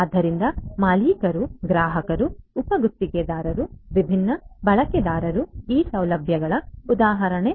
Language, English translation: Kannada, So, owners, customers, subcontractors are examples of the different users or the actors of these facilities